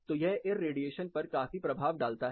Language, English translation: Hindi, So, this has a considerably impact on the irradiation